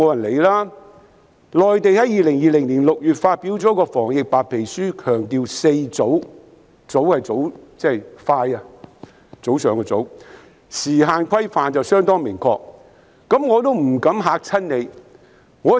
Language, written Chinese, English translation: Cantonese, 內地在年月發表了一份防疫白皮書，當中強調"四早"——"早"是快的意思——有相當明確的時限規範。, In June 2020 the Mainland published a white paper on epidemic prevention in which the Four Earlys have been highlighted―early means quickly―with a considerably specific time frame